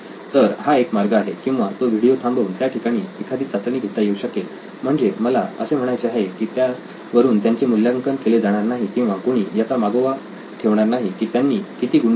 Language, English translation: Marathi, So that could be one way or in between the video it is paused, there is a quick test that they score, it is totally, I mean nobody is grading them, nobody is figuring out to keeping track of how much score they have